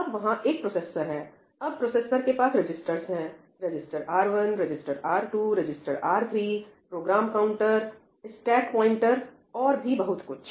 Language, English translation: Hindi, Now, there is the processor and the processor has registers register R1, register R2, register R3, program counter, stack pointer and so on, right